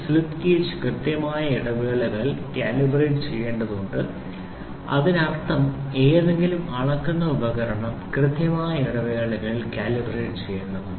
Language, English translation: Malayalam, The slip gauge needs to be calibrated at regular intervals; that means any measuring instrument has to be calibrated at regular intervals